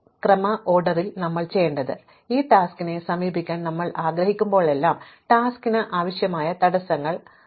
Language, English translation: Malayalam, What sequence should we do it, so that whenever we want to approach a task, the constraints that are required for the task are satisfied